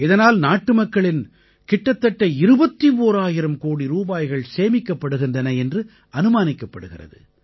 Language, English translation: Tamil, It is estimated that this will save approximately 21 thousand crore Rupees of our countrymen